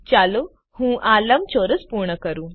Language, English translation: Gujarati, Let me complete this rectangle